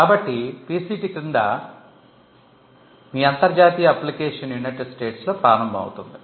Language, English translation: Telugu, So, your international application under the PCT begins in the United States